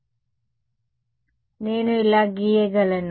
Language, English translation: Telugu, So, I can draw like this